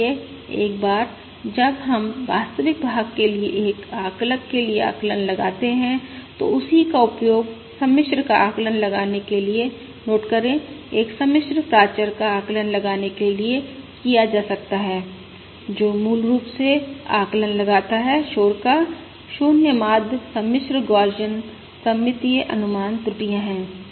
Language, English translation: Hindi, So once we derive, for instance, an estimator for the real part, the same can be used to estimate the complex, to estimate a complex parameter, noting that basically the estimate, the noise, is 0, mean complex, Gaussian, symmetric